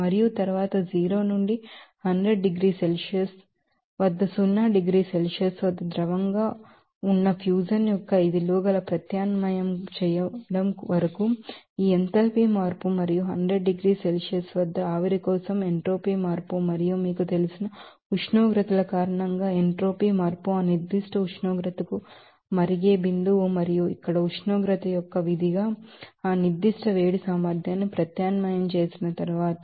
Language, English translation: Telugu, And then up to substitution of these values of fusion at zero degrees Celsius liquid at 0 to 100 degrees Celsius, that enthalpy change and entropy change for vaporization at 100 degree Celsius and also entropy change because of the temperatures are arising from these you know, boiling point to that certain temperature and after substitution of that specific heat capacity as a function of temperature here, and finally, you can get this value of 3048 joule